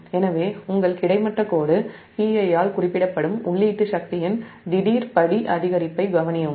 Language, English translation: Tamil, so consider a sudden step increase in input power represented by the, your horizontal line p i